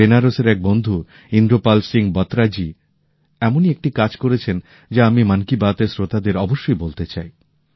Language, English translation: Bengali, My friend hailing from Benaras, Indrapal Singh Batra has initiated a novel effort in this direction that I would like to certainly tell this to the listeners of Mann Ki Baat